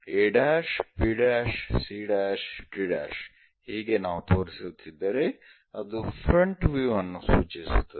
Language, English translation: Kannada, If something like a’, b’, c’, d’, if we are showing it indicates that front view